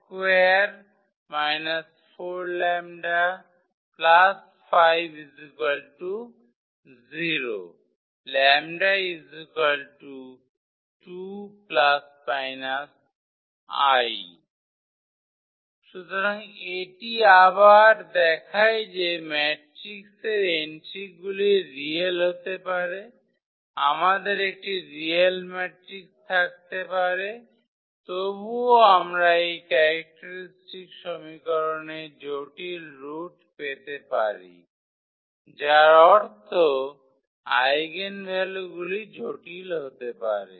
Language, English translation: Bengali, So, that again shows that the matrix entries may be real we can have a real matrix, but still we may get the complex roots of this characteristic equation meaning the eigenvalues may be complex